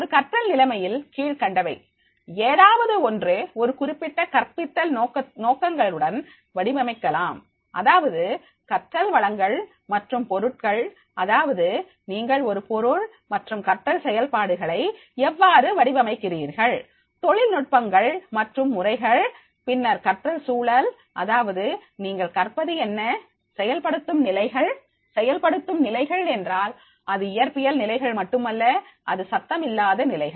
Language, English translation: Tamil, In a learning situation, any of the following may be designed with a specific pedagogic intentions, that is the learning resources and materials, that is how you have designed your material and learning processes, learning techniques and methods, the learning environment, that is what will be the learning enabling conditions, enabling conditions, enabling conditions means that is the not only the physical conditions, that is the noise free conditions, but it will be also having the allowing people to ask the questions